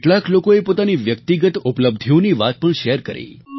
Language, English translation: Gujarati, Some people even shared their personal achievements